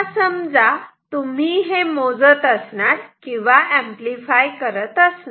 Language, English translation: Marathi, Now suppose you are using you are measuring or amplifying